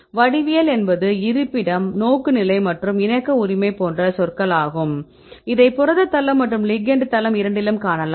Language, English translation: Tamil, So, geometry is terms as location, orientation as well as the conformation right you can see both in the case of the protein site as well as the ligand site